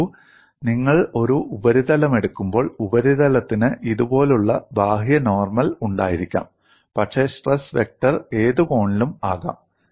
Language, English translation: Malayalam, See, when you take a surface, the surface may have outward normal like this, but stress vector can be at any angle; it need not coincide with an outward normal direction